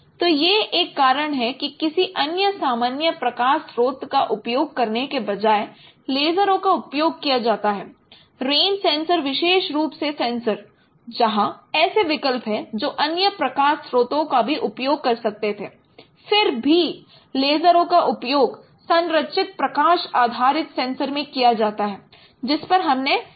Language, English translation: Hindi, So, this is a reason why lasers are used instead of using any other ordinary light source in the range sensors particularly the sensors which are wired there are where there are options that now you could have used other light sources still lasers are used in structured light based sensors that we discussed so let me give a here